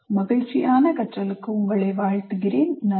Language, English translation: Tamil, And wish you happy learning and thank you